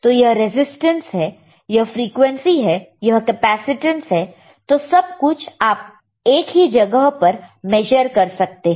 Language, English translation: Hindi, So, this is the resistance frequency, capacitance everything can be measured in the same place